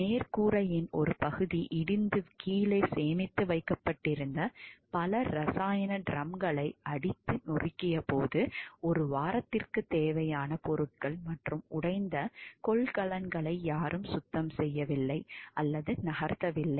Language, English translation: Tamil, When part of the roof collapse smashing several chemical drums stored below no one cleaned up or move the speed substances and broken containers for week